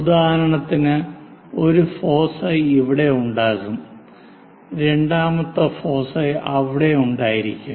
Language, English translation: Malayalam, For example, one of the foci here the second foci might be there